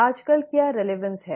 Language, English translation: Hindi, What is the relevance nowadays